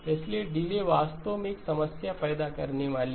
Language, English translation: Hindi, So delays is actually going to cause a problem